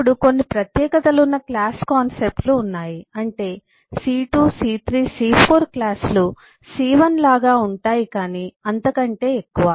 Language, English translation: Telugu, then there are some classes, concepts which have speculations of that, that is, classes c2, c3, c4 are like c1, but something more